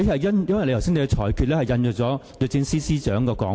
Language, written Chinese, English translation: Cantonese, 因為你剛才的裁決引述了律政司司長的說法。, In the ruling that you made earlier you quoted the Secretary for Justices remark